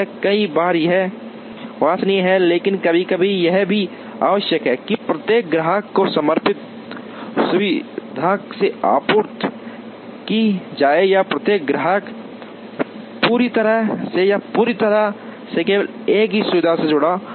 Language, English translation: Hindi, Many times this is desirable, but sometimes it is also necessary to have each customer being supplied from a dedicated facility or each customer is attached purely or entirely to only one facility